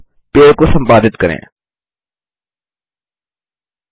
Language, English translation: Hindi, Now, lets edit the tree